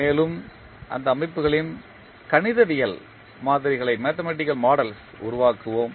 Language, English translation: Tamil, And will create the mathematical models of those systems